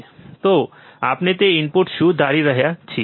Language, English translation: Gujarati, So, in what we are assuming that input